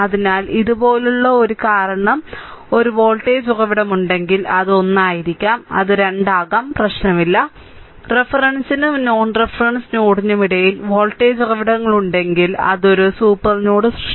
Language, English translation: Malayalam, So, something like this because if a voltage source is there, it may be 1, it may be 2, does not matter if voltage sources are there in between 2 reference ah non reference node, then its creates a supernode, right